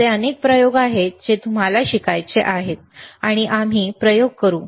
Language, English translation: Marathi, tThere are several experiments that I want you to learn, and we will perform the experiments